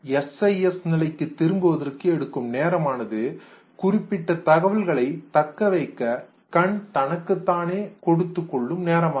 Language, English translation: Tamil, The time that it will take to get itself back to the cis state is the time which basically the eye gives to itself to retain the information for certain period of time